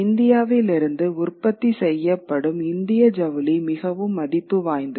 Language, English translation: Tamil, Certainly Indian textiles produced from India was of great value